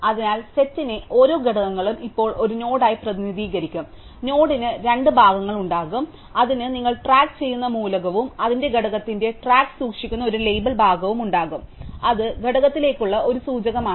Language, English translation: Malayalam, So, each element of the set will now be represented as a node, the node will have two parts, it will have the name which is the element that you are keeping track of and a label part which keeps track of its component, so it is a pointer to the component